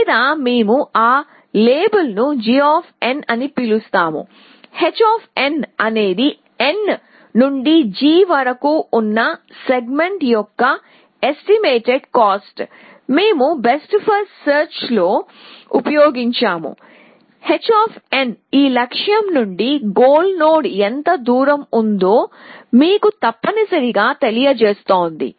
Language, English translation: Telugu, And bound we will that label we will call g of n, h of n is an estimated cost of the segment from n to g, that we have used in best first search that the h of n tells you how far this goal is from this from the goal node essentially